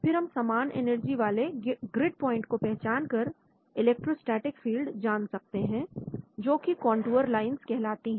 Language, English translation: Hindi, Then we can have electrostatic fields by identifying grid points of equal energy those are all called contour line